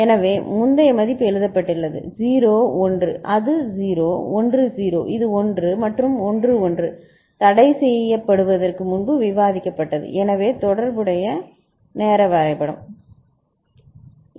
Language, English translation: Tamil, So, then the previous value is written; 0 1 it is 0; 1 0 it is 1, and 1 1 as was discussed before it is forbidden and so the corresponding timing diagram ok